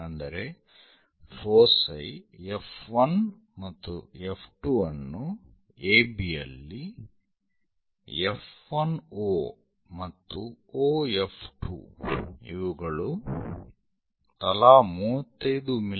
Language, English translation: Kannada, Those are F 1 and F 2 on AB such that F 1 O and O F 2 are 35 mm each